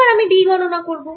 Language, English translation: Bengali, now i will calculate d